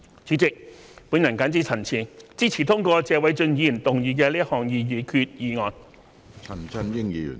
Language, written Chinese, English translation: Cantonese, 主席，我謹此陳辭，支持通過謝偉俊議員動議的擬議決議案。, With these remarks President I support the passage of the proposed resolution moved by Mr Paul TSE